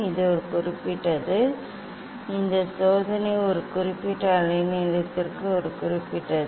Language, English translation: Tamil, this is for a particular; this experiment is for a particular for a particular wavelength